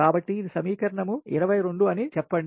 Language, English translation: Telugu, so this is equation twenty one